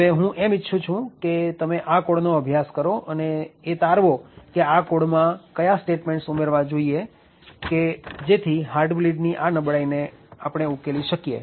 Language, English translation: Gujarati, So, what I would like you to think of right now is to look at this code and figure out how or what statements to be added in this code so that the heart bleed vulnerability can be fixed